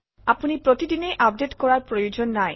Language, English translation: Assamese, You dont have to do this update every day